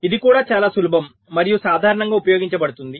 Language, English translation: Telugu, this is also quite simple and commonly used